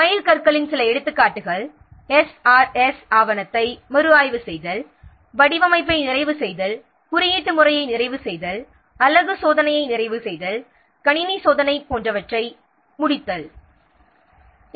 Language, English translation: Tamil, A few examples of milestones are preparation of review of the SRS document, completion of design, completion of coding, completion of unit testing, completion of system testing, etc